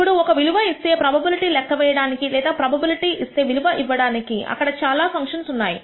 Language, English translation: Telugu, Now in our there are several functions that allow you to compute probability given a value or the value given the probability